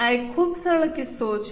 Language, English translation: Gujarati, This is a very simple case, very small case